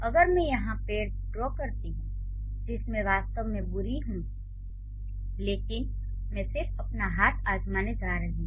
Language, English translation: Hindi, So, if I draw the tree here which I am like really bad at, but I am just going to try my hand